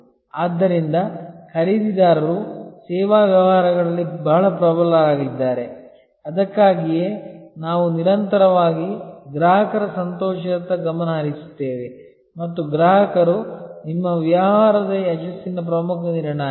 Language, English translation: Kannada, So, the buyers are very strong in service businesses, that is why we continuously focus on customer delight and customer is the key determinant of your business success